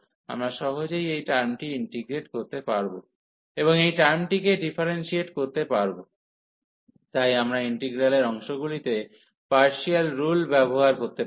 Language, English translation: Bengali, So, we can easy integrate this term, and differentiate this term, so we can apply the rule of partial of integral by parts